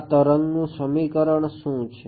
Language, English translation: Gujarati, What is the equation for such a wave